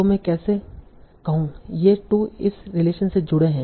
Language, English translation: Hindi, So how do I say these two, these two are connected by this relation